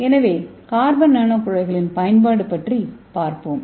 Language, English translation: Tamil, So let us see the various applications of carbon nano tube